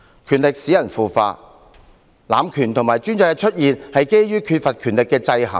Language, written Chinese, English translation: Cantonese, 權力使人腐化，濫權和專制的出現是基於缺乏權力的制衡。, Powers are corruptive . The emergence of abuse of power and despotism is attributed to the lack of checks and balances